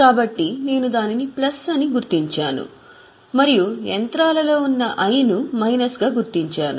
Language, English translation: Telugu, So, I have marked it as plus and in I that is in the machinery we will mark it as minus